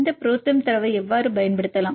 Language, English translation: Tamil, How can you apply this ProTherm data